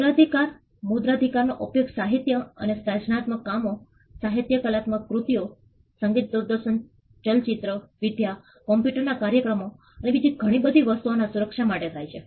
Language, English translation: Gujarati, Copyrights: copyrights are used to protect literary and creative works, literary artistic works soundtracks videos cinematography computer programs and a whole lot of things